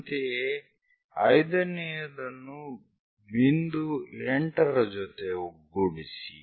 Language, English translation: Kannada, Similarly, join 5th one to point 8